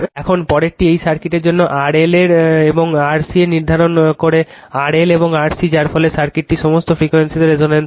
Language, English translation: Bengali, Now, next one is determine your determine R L and R C for this circuit R L and R C which causes the circuit to be resonance at all frequencies right